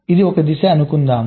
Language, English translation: Telugu, lets say this is the direction